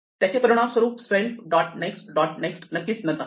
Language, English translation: Marathi, This has the same effect: self dot next dot next must be none